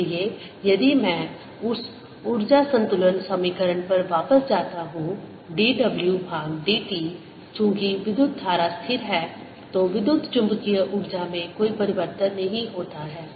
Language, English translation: Hindi, so if we, if i go back to that energy balance equation d w by d t, since the current is steady, there's no change in the electromagnetic energy